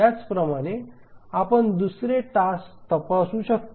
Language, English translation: Marathi, Similarly we can check for the second task